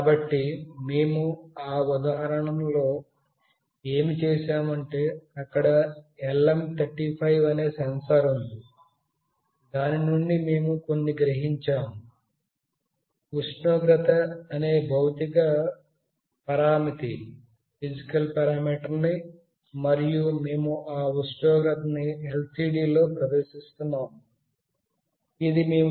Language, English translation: Telugu, So, what we were doing in that example, there was a sensor that is LM35 from where we were sensing some physical parameter that is temperature, and we were displaying it in the LCD